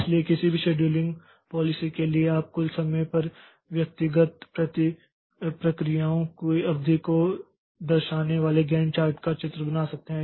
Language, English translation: Hindi, So, for any scheduling policy you can draw the Gant chart showing the duration of individual processes over the total timeline